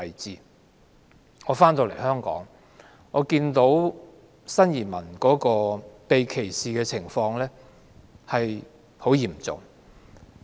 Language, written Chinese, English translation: Cantonese, 回到香港後，我看到新移民被歧視的情況十分嚴重。, Upon returning to Hong Kong I find discrimination against new immigrants is serious